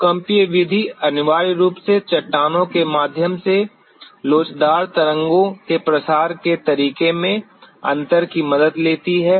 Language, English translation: Hindi, The seismic method essentially take help of the difference in the way the elastic waves propagate through the rocks